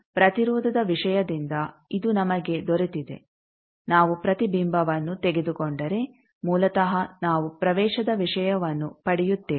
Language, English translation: Kannada, So, this points this we got from impedance thing that if we take a reflection basically we get the admittance thing